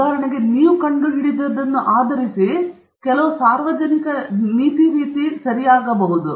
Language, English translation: Kannada, So for example, based on what you have discovered some public policy may be changed okay